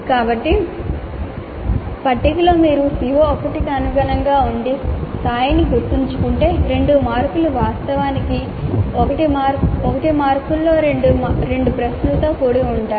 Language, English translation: Telugu, So in the table if you see corresponding to CO1 corresponding to remember level two marks are actually composed with two questions, each of one mark